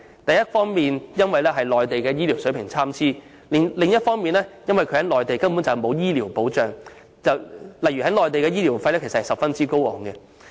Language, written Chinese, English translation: Cantonese, 這一方面是因為內地醫療水平參差，但另一方面亦因為他們在內地根本沒有醫療保障，若要在內地就醫，費用將十分高昂。, This is on the one hand due to the varying quality of Mainland medical services but on the other hand it can also be attributed to the fact that they enjoy no medical protection and have to pay high medical charges when seeking medical consultation on the Mainland